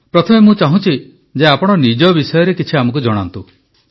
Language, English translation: Odia, First of all, I'd want you to definitely tell us something about yourself